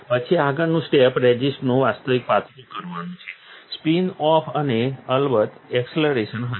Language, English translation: Gujarati, Then the next step would be the actual thinning of the resist, the spin off and, of course, the acceleration